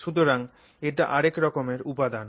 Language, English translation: Bengali, So, this is another type of material